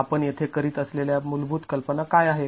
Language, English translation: Marathi, What are the basic assumptions that we are making here